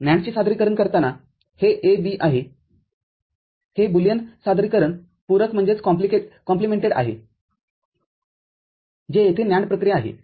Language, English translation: Marathi, While the NAND representation this A, B this is the Boolean representation complemented that is what is the NAND operation over here